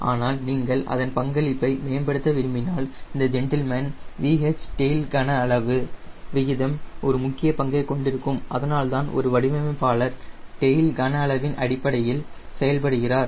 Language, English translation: Tamil, but if you want to enhance its contribution, then this gentleman v h tail volume ratio will play an important role and that is why for a designer, he operates through tail volume